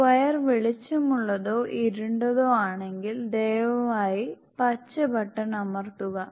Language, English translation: Malayalam, If the square gets lighter or darker then please press green button